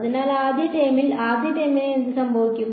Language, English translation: Malayalam, So, in the first term what happens to the first term